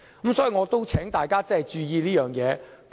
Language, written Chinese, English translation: Cantonese, 所以，我請大家注意這方面的影響。, Therefore I would like to ask all of us to pay attention to the impact in this respect